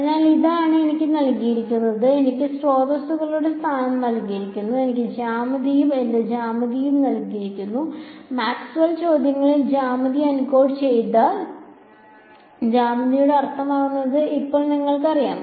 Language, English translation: Malayalam, So, this is what is given to me, I am given the position of the sources, I am given the geometry and my geometry by now we know what do we mean by geometry into what is geometry encoded in Maxwell questions